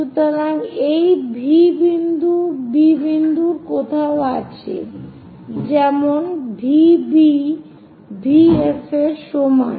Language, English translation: Bengali, So this point is V somewhere point B, such that V B is equal to V F